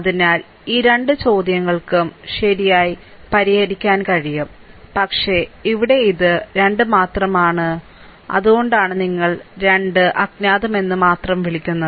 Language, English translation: Malayalam, So, these 2 questions can be solved right, but here it is only 2 you are, what you call only 2 unknown